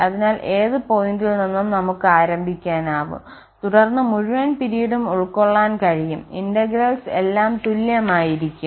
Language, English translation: Malayalam, So, from any point we can start and then cover the whole period that will be the all those integrals will be equal